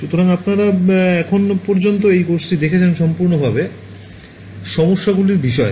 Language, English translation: Bengali, So, you have looked at this course so far has been entirely about forward problems